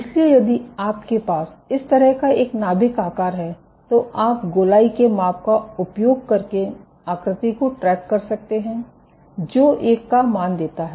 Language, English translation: Hindi, So, if you have a nuclear shape like this you can track the shape by using a measure of circularity, which returns the value of 1